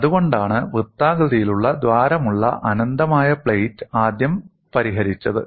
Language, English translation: Malayalam, That is the reason you find infinite plate, with a circular hole was solved first